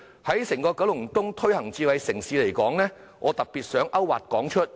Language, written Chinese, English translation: Cantonese, 關於在整個九龍東推行智慧城市，我特別想提出"泊車易"計劃作為例子。, Regarding the promotion of a smart city in the entire Kowloon East I would like to cite the Smart Parking Mobile App scheme as an example